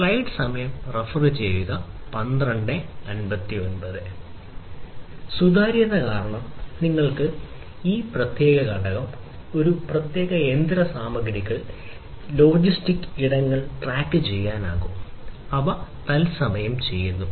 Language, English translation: Malayalam, Transparency because now you are able to track a particular component, a particular machinery, a you know, track some you know logistic item you can do all of these things in real time